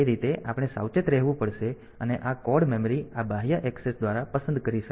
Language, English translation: Gujarati, So, that way we have to be careful and this code memory is selectable by this e a external access